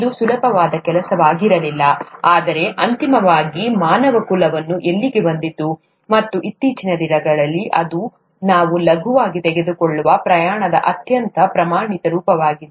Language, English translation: Kannada, It was not an easy task, but ultimately, mankind got there, and nowadays it's a very standard form of travel that we take for granted